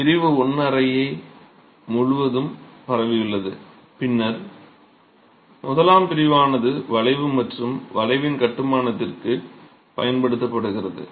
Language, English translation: Tamil, The eye section spans across the room and then the eye section itself is used for seating the arch and construction of the arch